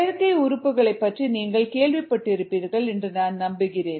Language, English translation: Tamil, i am sure you would have heard of artificial organs